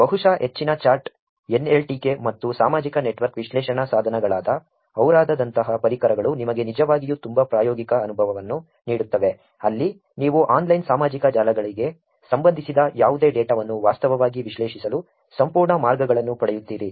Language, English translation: Kannada, So, tools like these which is probably high chart, NLTK and social network analysis tools like ora will be actually very, very hands on experience for you where you get a whole lot of ways to actually analyze the data anything that is relevant to online social networks